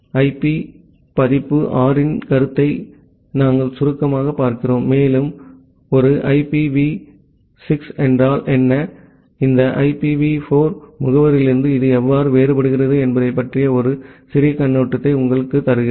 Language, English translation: Tamil, And we look into the concept of IP version 6 in brief, and give you a little bit overview about what a IPv6 is and how it is different from this IPv4 addresses